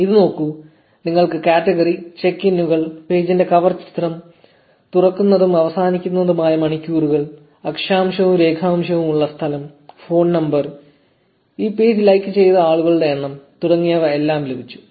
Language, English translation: Malayalam, And look at this, you have category, check ins, details about the cover picture of the page, opening and closing hours, location with latitude and longitude, phone number, number of people who liked this page and so on